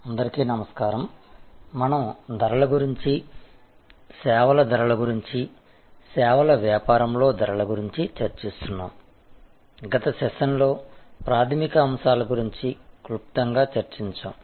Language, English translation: Telugu, Hello, so we are discussing about Pricing, Services Pricing, Pricing in the Services business, we discussed briefly the fundamental concepts in the last secession